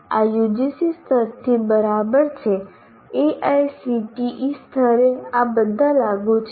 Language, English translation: Gujarati, This is right from UGC level at AICT level